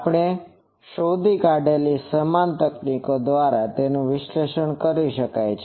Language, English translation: Gujarati, They can be analyzed by the same techniques that we have found